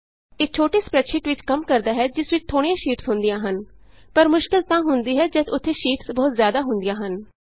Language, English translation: Punjabi, This works for a small spreadsheet with only a few sheets but it becomes cumbersome when there are many sheets